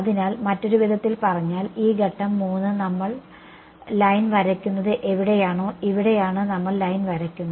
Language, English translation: Malayalam, So, in other words this step 3 is where we draw the line here is where we draw the line